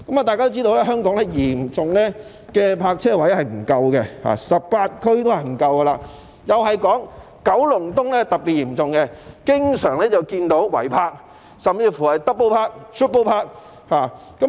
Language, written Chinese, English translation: Cantonese, 大家也知道，香港泊車位嚴重不足 ，18 區都不足夠，而九龍東的情況又是特別嚴重，經常看到違泊，甚至是 double park 或 triple park 的情況。, We all know that there is a severe shortage of parking spaces in Hong Kong . Parking spaces are lacking in all 18 districts and their shortage is particularly serious in Kowloon East as we often see cases of illegal parking and drivers even double park or triple park on roads